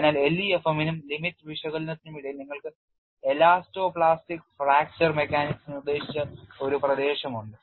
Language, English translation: Malayalam, So, between the regions of LEFM and limit analysis, you have a region dictated by elasto plastic fracture mechanics